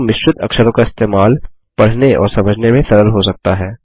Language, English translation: Hindi, But using mixed cases, can be easy to read and understand